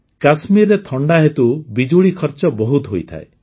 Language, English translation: Odia, On account of winters in Kashmir, the cost of electricity is high